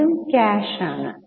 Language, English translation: Malayalam, First is cash